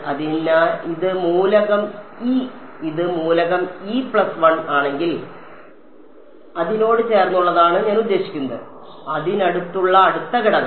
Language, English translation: Malayalam, So, if this is element e this is element e plus 1, adjacent to it is going to be I mean the next element next to it